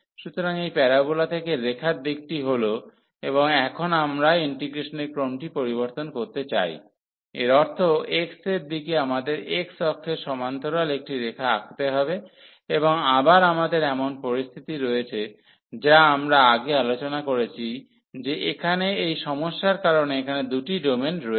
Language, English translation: Bengali, So, this is the direction for the y from the parabola to the line, and now we want to change the order of integration; that means, in the direction of x we have to draw the draw a line parallel to the x axis and again we have that situation which we have discussed earlier, that there will be 2 domains because of this problem here